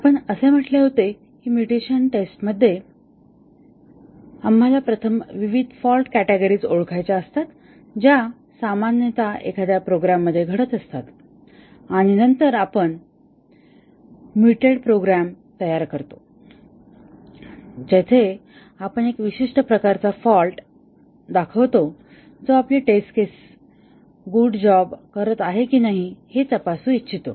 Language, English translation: Marathi, We had said that in mutation testing we have to first identify various fault categories that typically occur in a program and then, we generate mutated programs, where we introduce a specific type of fault that we want to check whether our test cases are doing a good job of that and then, we run the test cases and check if the error that we had introduced is caught by the test cases